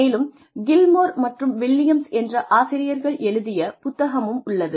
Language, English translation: Tamil, Then, there is a book by, Gilmore and Williams, who are the editors of this book